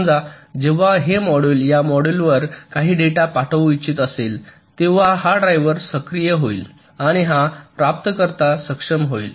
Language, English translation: Marathi, let say, when this particular module once to sends some data to this module, then this driver will be activated and this receiver will be enabled